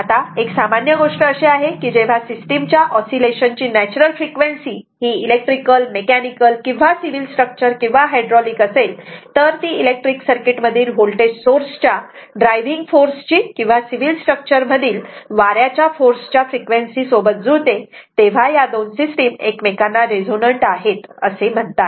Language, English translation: Marathi, Now, this is one general thing, whenever the natural frequency whenever the natural frequency of oscillation of a system could be electrical, mechanical or a civil structure or a hydraulic right coincides with the frequency of the driving force a voltage source in an electric circuit or a wind force in civil structure etc, the 2 system resonant with respect to each other right